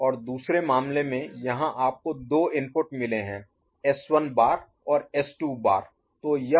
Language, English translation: Hindi, And in the other case you have got 2 inputs, S 1 bar and S 2 bar